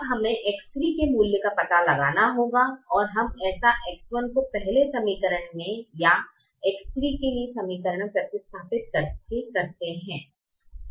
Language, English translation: Hindi, now we have to find out the value of x three and we do that by substituting for x one in the first equation or in the equation for x three